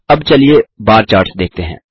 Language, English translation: Hindi, Now let us move on to the bar charts